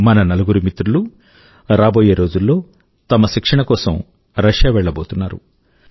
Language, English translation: Telugu, Our four friends are about to go to Russia in a few days for their training